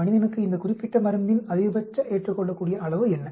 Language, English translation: Tamil, What is a maximum tolerable dose of this particular drug on human